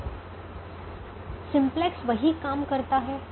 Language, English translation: Hindi, so what does simplex algorithm do